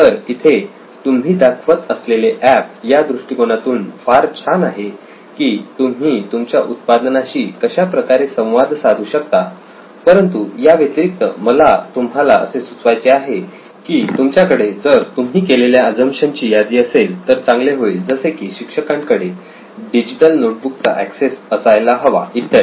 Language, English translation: Marathi, So here is my suggestion to you, this is great for you to get to know how to interact with a product, so that way it is nice but what I would like you to also see is that you had a list of assumptions, assumptions that you had made about you know the teacher has access to a digital notebook and all that